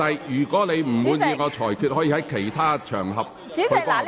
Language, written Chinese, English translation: Cantonese, 如果你有不滿，可以在其他場合討論。, If you are not happy with it you can discuss it on other occasions